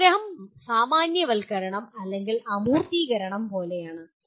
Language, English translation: Malayalam, Summarization is more like generalization or abstracting